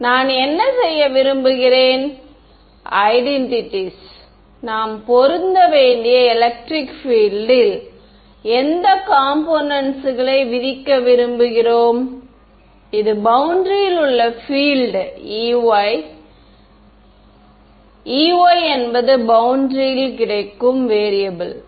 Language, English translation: Tamil, And what do I want to do is want to impose which component of electric field should this we apply to in the identities which is the field on boundary E y right E y is the variable that is lying on the boundary